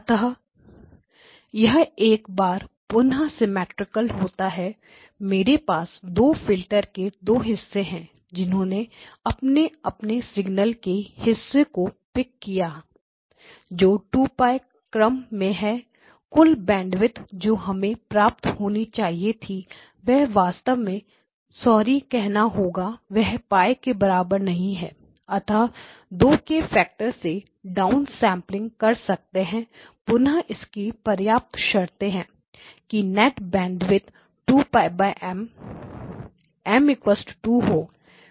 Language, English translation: Hindi, So, here again it will be symmetric, so I have two portions the two filters have picked off the respective portions of the signal and have and these are of the order of 2 Pi, the total bandwidth that we are talking about is of the order of so that we can actually sorry of the order of Pi and so we can do the down sampling by a factor of 2 so again a sufficient condition is that the net bandwidth is 2 Pi by M, M equal to 2 so that the total bandwidth